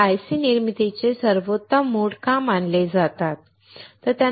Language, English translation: Marathi, Why are they considered as the best mode of manufacturing IC